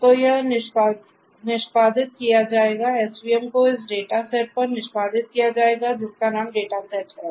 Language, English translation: Hindi, So, this will be executed as svm will be executed on this data set which has the name data let us